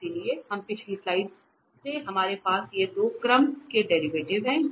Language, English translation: Hindi, So, we from the previous slide we have these two first order derivatives ux and uy